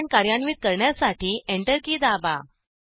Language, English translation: Marathi, Press Enter key to execute the command